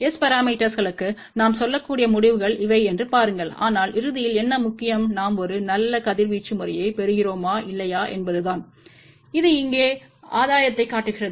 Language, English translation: Tamil, See these are the results which we can say for S parameters, but ultimately what is important is whether we are getting a decent radiation pattern or not and this one here shows the gain